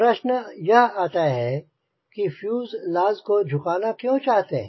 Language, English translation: Hindi, so the question comes: why do you want to fill the fuselage